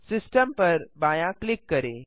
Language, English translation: Hindi, Left Click System